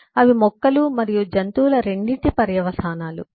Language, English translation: Telugu, those are the consequence of plants and animals both